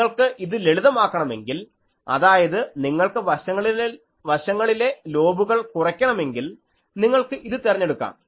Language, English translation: Malayalam, So, if you want to these are simple things that if you want to reduce side lobes you can go for these